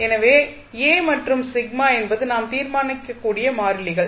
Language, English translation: Tamil, So, a and sigma are constants which we have to determine